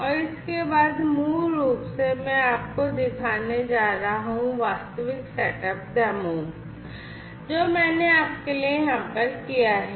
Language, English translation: Hindi, And after this basically I am going to show you I am going to switch back and show you the actual setup the demo, that I have for you over here